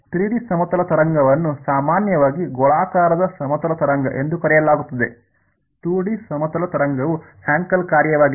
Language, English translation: Kannada, A 3 D plane wave is usually referred to as a spherical plane wave, a 2 D plane wave is a Hankel function